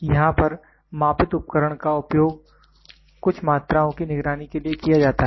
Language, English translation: Hindi, Here the measured device is used for keep track of some quantities monitor